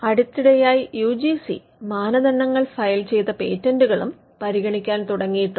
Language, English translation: Malayalam, Though now we find the UGC norms have recently started considering patents filed as well